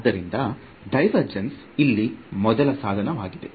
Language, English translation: Kannada, So, divergence is the first tool over here